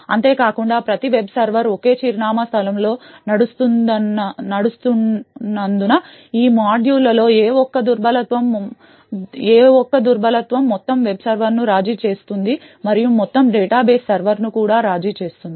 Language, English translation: Telugu, Further, note that since each web server runs in a single address space, single vulnerability in any of these modules could compromise the entire web server and could possibly compromise the entire data base server as well